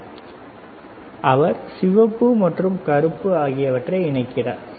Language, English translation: Tamil, So, he is connecting the red and black, right